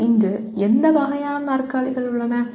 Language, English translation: Tamil, There are number of/ any varieties of chairs in the world today